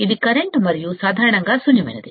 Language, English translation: Telugu, This is the current and is usually nulled